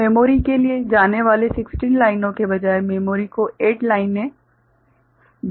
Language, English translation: Hindi, So, 8 lines to the memory instead of 16 lines going to the memory ok